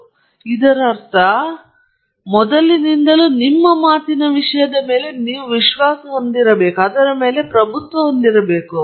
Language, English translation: Kannada, So, this means, first of all, you have to be confident about the content of your talk